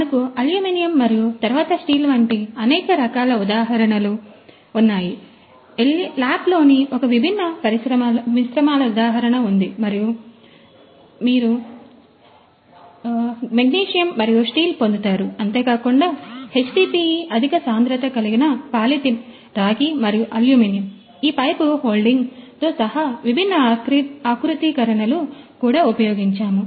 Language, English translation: Telugu, We have got several examples like aluminum and then steel we have got the material you know the one different composites in LAP and , you have got the magnesium and then steel, we have also used this HDPE that high density polyethylene, copper and aluminum, and also different configurations including this you know the pipe holding